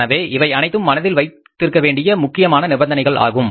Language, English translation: Tamil, So these are the very important conditions to be born in mind